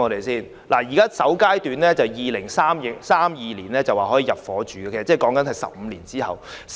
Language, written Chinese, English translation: Cantonese, 政府預計首階段的住宅單位可在2032年入伙，那是15年後的事。, While the Government anticipates that the first batch of residential units can be available for intake in 2032 it is something which will not happen until 15 years later